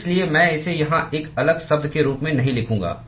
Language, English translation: Hindi, So, I will not write it as a separate term here